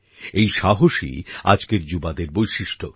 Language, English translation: Bengali, This zest is the hallmark of today's youth